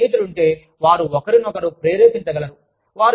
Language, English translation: Telugu, If they have a friend, they can motivate, each other